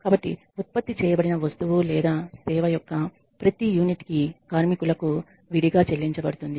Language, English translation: Telugu, So, for every unit that is of product or service that is produced the workers are paid separately